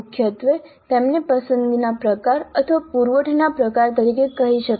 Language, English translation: Gujarati, Primarily they can be called as selection type or supply type